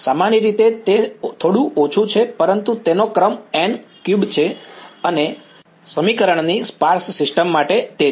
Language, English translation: Gujarati, Roughly it is little bit less, but its order of n cube and for the sparse system of equation it is